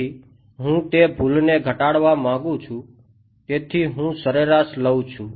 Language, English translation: Gujarati, So, I want to minimize that error so, I take an average